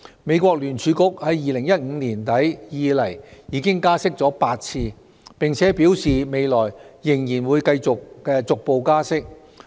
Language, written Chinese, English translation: Cantonese, 美國聯邦儲備局自2015年年底以來已經加息8次，並表示未來仍會逐步加息。, Since the end of 2015 the Federal Reserve of the United States has raised the interest rate eight times adding that there will be successive rate hikes in the future